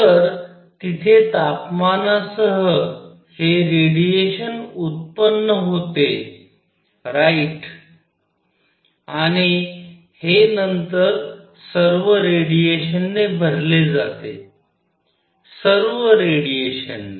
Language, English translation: Marathi, So, with temperature there is this radiation is generated right and this then gets filled with radiation, all the radiation